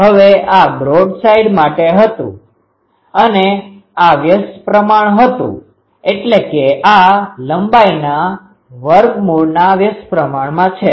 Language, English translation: Gujarati, Now, this was the for broadside, this was inversely proportional, this is inversely proportional to the square root of the length